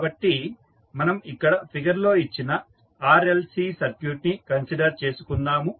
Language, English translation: Telugu, So, let us consider the RLC circuit which is given in the figure